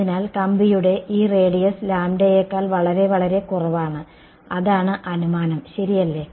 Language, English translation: Malayalam, So, this radius of wire is equal to a which is much much less than lambda that is the assumption ok